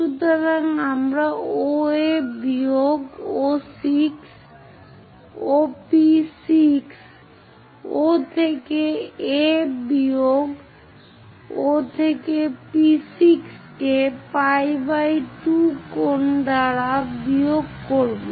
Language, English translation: Bengali, So, we will subtract OA minus OP 6, O to A minus O to P6 by pi by 2 angle